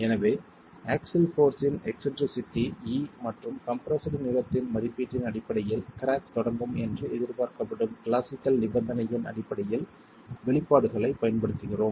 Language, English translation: Tamil, So based on the eccentricity of the axial force E and the estimate of the compressed length we use the expressions based on the classical condition for which cracking is expected to begin